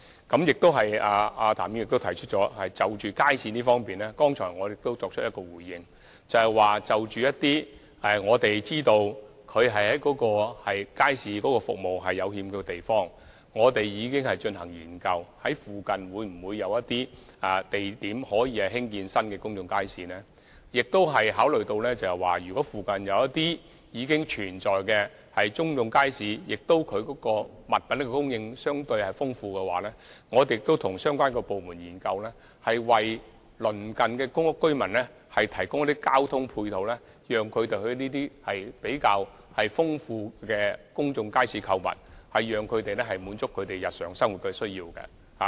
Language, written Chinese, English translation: Cantonese, 譚議員亦提到街市，而剛才我亦已表示，就着我們知道一些欠缺街市服務的地方，我們已進行研究，了解在附近會否有地點興建新的公眾街市；我們亦考慮到，如果附近已經存在公眾街市，而物品供應相對豐富，我們亦已與相關部門研究，為鄰近公屋居民提供交通配套，供他們到這些物品供應比較豐富的公眾街市購物，以滿足他們的日常生活需要。, Mr TAM has mentioned markets . As pointed out just now concerning the places known to have inadequate market services we have conducted studies in order to examine if there are potential sites for new public markets nearby; if there are existing public markets with relatively plentiful supply of goods in the proximity we have also considered the option and examined with related departments the arrangement of providing shuttles for residents to shop at these public markets where goods are relatively more abundant so that their daily needs can be fulfilled